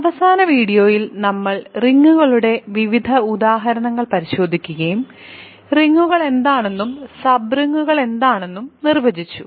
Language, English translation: Malayalam, In the last video we looked at various examples of rings and we defined what rings are and what sub rings are